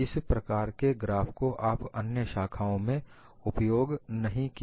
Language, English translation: Hindi, This kind of graphs you would not have used it in other disciplines